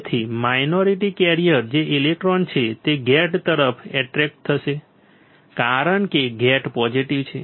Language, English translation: Gujarati, So, the minority carrier which are electrons will get attracted towards the gate, because gate is positive